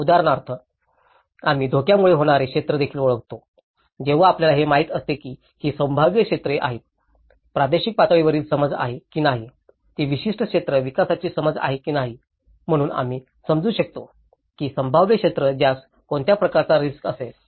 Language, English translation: Marathi, Like for instance, we also identify the areas that are risk from hazards, when we know that these are the potential areas, whether it is a regional level understanding, whether it is a particular area development understanding, so we will understand, which are the potential areas that will be subjected to what type of risk